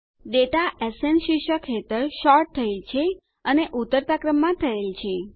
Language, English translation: Gujarati, The data is sorted under the heading SN and in the descending order